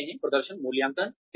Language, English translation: Hindi, What is performance appraisal